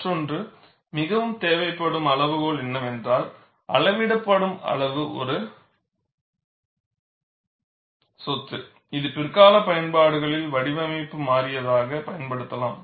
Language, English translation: Tamil, The other, more demanding criterion is, the quantity being measured is a physical property that can be used in later applications as a design variable